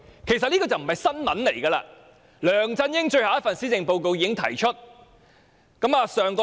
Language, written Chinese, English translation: Cantonese, 其實這並非新聞，因為梁振英的最後一份施政報告已提出這項建議。, This is nothing new in fact as LEUNG Chun - ying already put forward such a proposal in his last Policy Address